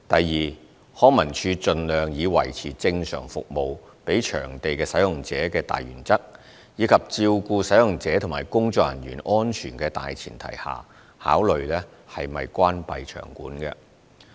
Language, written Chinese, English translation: Cantonese, 二康文署盡量以維持正常服務給場地使用者的大原則，以及照顧使用者及工作人員安全的大前提下，考慮是否關閉場館。, 2 LCSD will as far as possible adhere to the principle of maintaining normal service for venue users and the premise of addressing the safety of users and staff when considering whether a venue should be closed